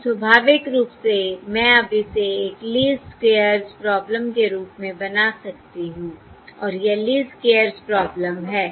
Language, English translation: Hindi, So naturally I can now formulate this as a Least squares problem and it is going to be a Least simply Squares problem